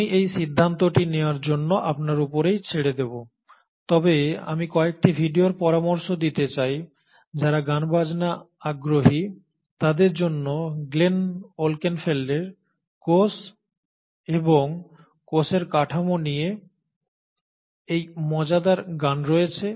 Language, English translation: Bengali, Well I leave that decision for you to make but I would like to suggest a few videos, and there is a very interesting the ones who are musically inclined to just look at this fun song on cell and cell structure by Glenn Wolkenfeld